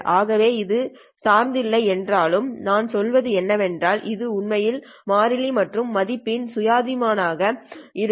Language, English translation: Tamil, Although that is not dependent on i, it's actually what we mean is that this is actually constant and independent of the value of i